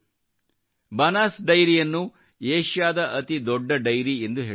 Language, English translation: Kannada, Banas Dairy is considered to be the biggest Dairy in Asia